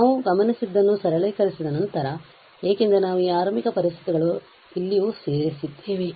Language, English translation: Kannada, So, after simplifying what we observed because we have incorporated these initial conditions also here